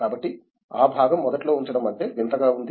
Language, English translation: Telugu, So, that part was initially of putting I mean it was strange